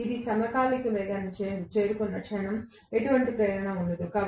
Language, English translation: Telugu, And the moment I reach synchronous speed there will not be any induction at all